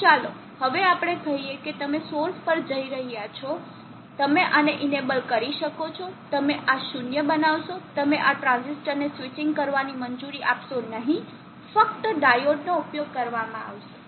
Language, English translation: Gujarati, So now let us say that you are going to source you will be enabling this you will make this 0 you will not allow this transistor to switch only the diode will be used, so this is switching power is put into the CT